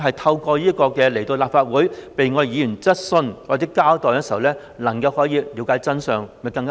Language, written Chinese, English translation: Cantonese, 透過請專家來立法會解答議員的質詢和作出交代，讓市民大眾了解真相，會否更好？, If we can let members of the public understand the truth by inviting experts to answer Members questions and give an account in the Legislative Council will it not be better?